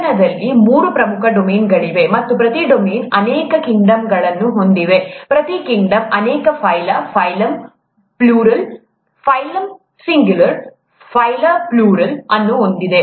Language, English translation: Kannada, There are three major domains in life, and each domain has many kingdoms, each kingdom has many phyla, phylum, plural, phylum singular, phyla plural